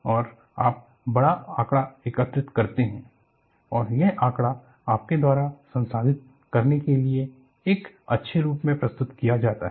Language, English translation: Hindi, So, you collect voluminous data and this data is presented, in a nice form, for you to process